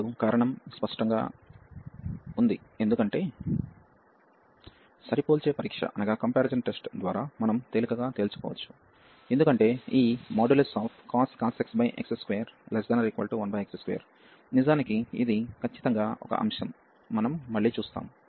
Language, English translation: Telugu, And the reason is clear, because by the comparison test we can easily conclude, because this cos x over over x square this is less than this 1 over x square indeed this absolutely a concept we will explain again